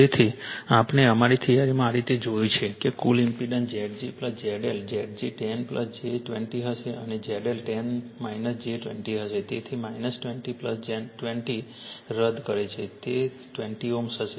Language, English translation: Gujarati, This way we have seen in our theory therefore, total impedance will be Z g plus Z l Z g is 10 plus j 20 and Z L will be 10 minus j 20, so minus j 20 plus j 20 cancels it will be 20 ohm